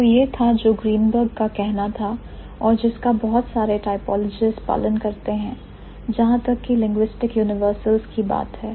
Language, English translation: Hindi, So, that is what Greenberg has to say and followed by many of the typologists as far as linguistic universals are concerned